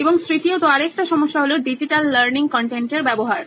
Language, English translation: Bengali, And thirdly, we would say another problem is the access to digital learning content itself